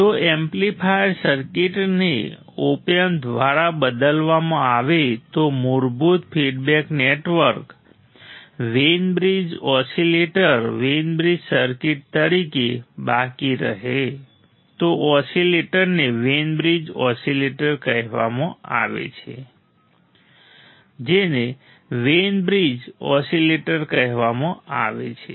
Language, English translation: Gujarati, If the amplifier circuit is replaced by Op amp with basic feedback network remaining as remains as Wein bridge oscillator Wein bridge circuit the oscillator is called Wein bridge oscillator what is called Wein bridge oscillator ok